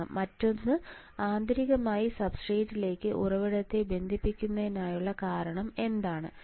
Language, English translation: Malayalam, So, another one is why we had to connect this source to substrate what is the reason of connecting source to substrate internally right